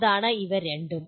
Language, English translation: Malayalam, These are the two